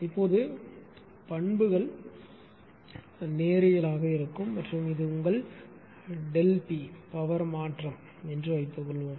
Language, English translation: Tamil, Now, characteristics is linear right, linear characteristic and this is your delta P suppose change in power